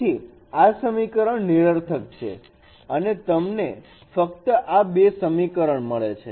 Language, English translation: Gujarati, So this equation is redundant and you get only this two equations